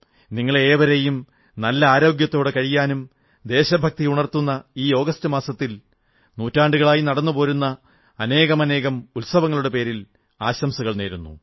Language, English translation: Malayalam, I wish all of you best wishes for good health, for this month of August imbued with the spirit of patriotism and for many festivals that have continued over centuries